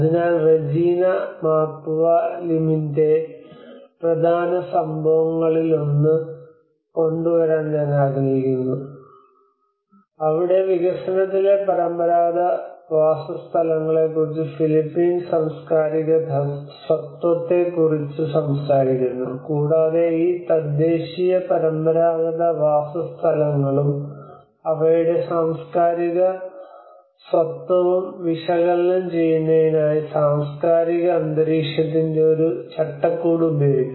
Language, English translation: Malayalam, So I would like to bring one of the important contribution of Regina Mapua Lim where she talks about the Philippines cultural identity on traditional settlements in development, and she uses a framework of cultural environment for analysing these indigenous traditional settlements and their cultural identity, and their understanding towards the impacts of the climate change and as well as the day to day routine vulnerable situations